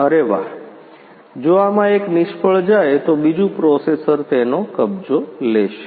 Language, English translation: Gujarati, If one of these fails the other processor will take over it